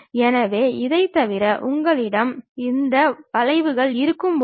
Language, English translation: Tamil, So, other than that, when you have this curves